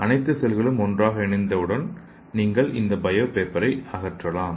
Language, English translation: Tamil, So once all the cells are fused together then you can remove this bio paper